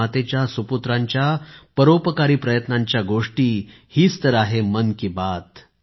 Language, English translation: Marathi, Talking about the philanthropic efforts of the sons and daughters of Mother India is what 'Mann Ki Baat' is all about